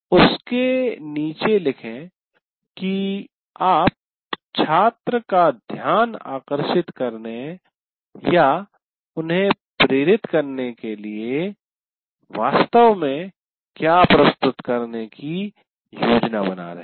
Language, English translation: Hindi, Under that you have to write what exactly are you planning to present for getting the attention of the student or motivate them to learn this